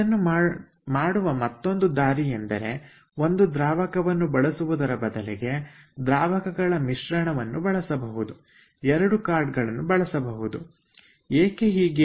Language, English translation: Kannada, another way of doing it is that instead of a single fluid, if we use a fluid mixture, then these two cards can be changed